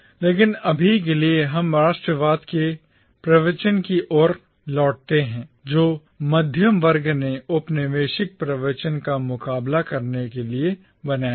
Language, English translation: Hindi, But for now, let us return to the discourse of nationalism which the middle class created to counter the colonial discourse